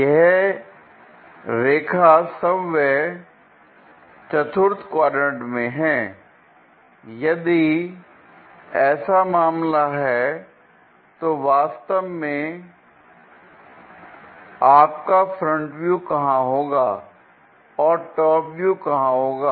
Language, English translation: Hindi, The a b line itself is in quadrant 4, if that is the case where exactly your front view will be and top view will be